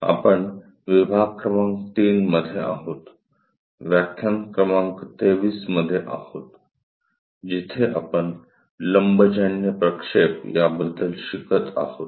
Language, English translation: Marathi, We are in module number 3, lecture number 23, where we are covering Orthographic Projections